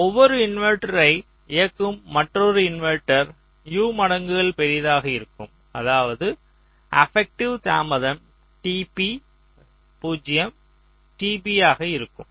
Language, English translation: Tamil, so so each inverter is driving another inverter which is u times larger, which means the affective delay will be t p, zero t p